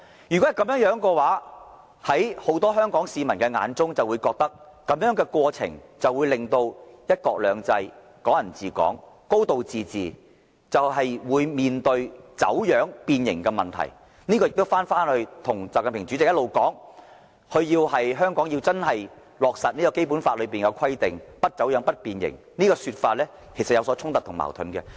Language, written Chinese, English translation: Cantonese, 如此一來，很多香港市民便會感到在這過程中，"一國兩制"、"港人治港"、"高度自治"定必面對走樣、變形的問題，這亦與習近平主席一直主張，香港要真正落實《基本法》的規定，不走樣和不變形的說法有所衝突及矛盾。, In this case Hong Kong people will only have the feeling that in the process one country two systems Hong Kong people administering Hong Kong and a high degree of autonomy have certainly been distorted and deformed . This is also contradictory to what President XI Jinping has been advocating that is the provisions of the Basic Law should be genuinely implemented in Hong Kong without any distortion and deformation